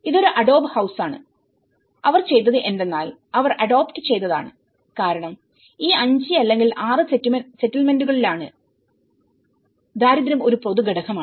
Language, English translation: Malayalam, So, this is an adobe house, so what they did was they have adopted because being in all these 5 or 6 settlements, the poverty is one of the common factor